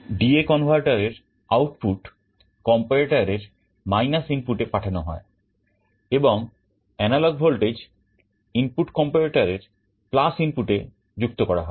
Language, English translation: Bengali, The D/A converter output is fed to the input of the comparator, and the analog voltage input is connected to the + input of the comparator